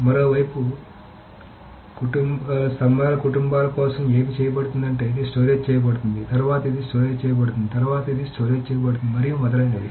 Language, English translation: Telugu, On the other hand, what is being done for the columnar families is that this is stored, then this is stored, then this is stored, and so on and so forth